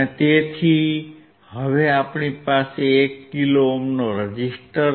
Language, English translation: Gujarati, So, we have now 1 kilo ohm